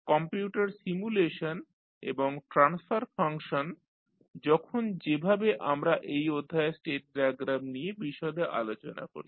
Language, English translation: Bengali, The computer simulation and transfer function, how when we see the discussed the state diagram in detail in the in this session